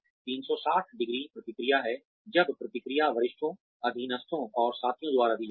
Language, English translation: Hindi, 360ø feedback is, when feedback is given by superiors, subordinates and peers